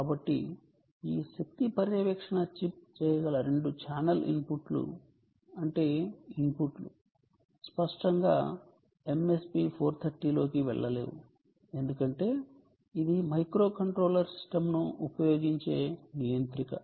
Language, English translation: Telugu, so these are the two channel inputs that this energy monitoring chip can do, which means the inputs um obviously cannot go into ah m s p four thirty because it is a controller, um, it uses a microcontroller system